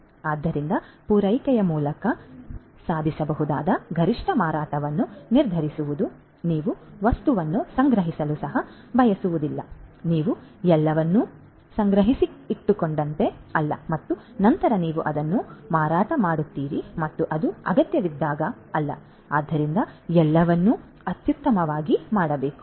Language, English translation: Kannada, So, determining that and the optimum sale that would can be achieved through the supply you do not want to even stock the items you know it is not like you know you procure everything stock it up and then you sell you know as an when it is required not like that, so everything has to be done optimally